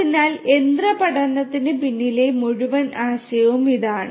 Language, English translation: Malayalam, So, this is the whole idea behind machine learning